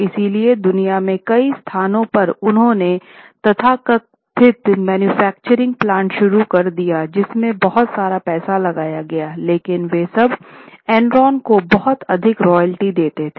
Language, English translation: Hindi, So, at several places in the world they had started so called power manufacturing plants and lot of money was being invested there on paper and these plants were nothing much but they were giving lot of royalty to Enron